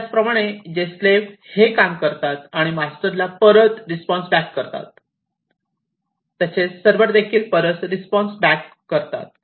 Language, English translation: Marathi, In the same way, as the slaves who do the work and respond back to the masters, here also the servers respond back